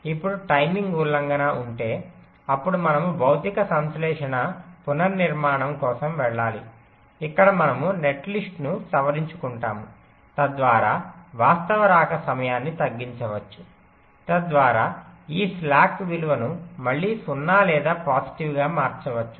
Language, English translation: Telugu, now, if there is a timing violation, then we have to go for physical synthesis, restructuring, where we modify the netlist so that the actual arrival time can be reduced, so that this slack value can be again made zero or positive